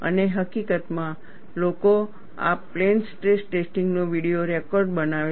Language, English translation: Gujarati, And, in fact, people make a video record of this plane stress testing